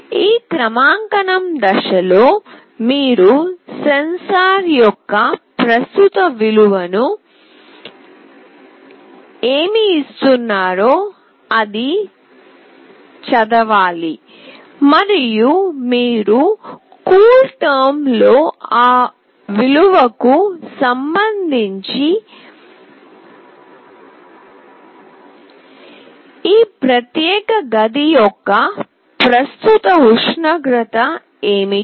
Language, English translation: Telugu, In this calibration step, you need to read the current value of the sensor, what it is giving and you can see that in CoolTerm and then with respect to that value, what is the current temperature of this particular room